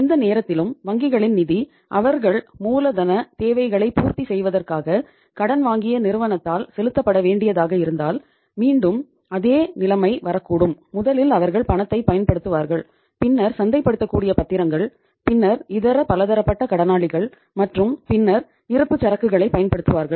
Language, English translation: Tamil, Any time if the banks funds become due to be paid by the firm which they have borrowed for meeting the working capital requirements if they become due to be paid so maybe again the same situation can come that first they will use the cash, then the marketable securities, and then the sundry debtors and then the inventory